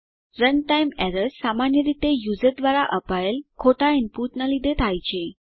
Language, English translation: Gujarati, Runtime errors are commonly due to wrong input from the user